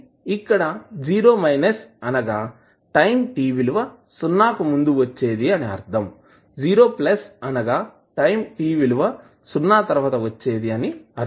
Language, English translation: Telugu, So, t 0 minus denotes the time just before time t is equal to 0 and t 0 plus is the time just after t is equal to 0